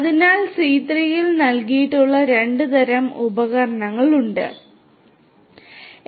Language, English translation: Malayalam, So, these are the two classes of tools that have been provided in C3